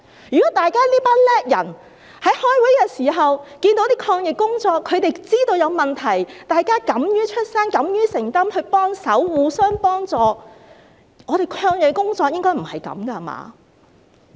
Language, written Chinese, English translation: Cantonese, 如果這群能幹的人在開會時，察覺到抗疫工作有問題，大家敢於發聲及敢於承擔，互相幫助，我們的抗疫工作應該不是這樣的。, If this group of competent officials had detected any problems with the anti - epidemic work during the meetings had the audacity to voice out and accept the responsibility and to help each other our anti - epidemic work would not have been like that . It is unnecessary to say Together We Fight the Virus! . to us